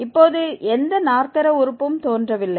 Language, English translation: Tamil, There is no quadratic term appearing now